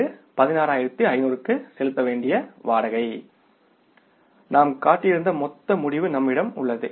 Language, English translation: Tamil, This is a rent payable to the tune of 16,500s, we will have to show it as a liability